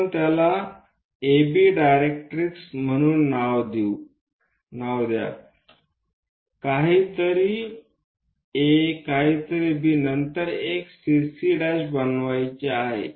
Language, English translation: Marathi, Let us name that as AB directrix something like A something as B, then a CC prime line we have to construct